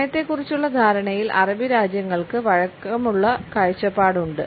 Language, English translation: Malayalam, The Arabic countries in the perception of time as a flexible vision